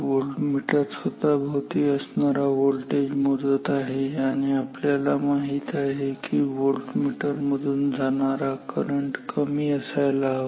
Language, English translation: Marathi, This voltmeter is measuring the voltage across itself and we know that that the current through the voltmeter should be small